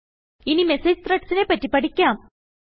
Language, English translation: Malayalam, Lets learn about Message Threads now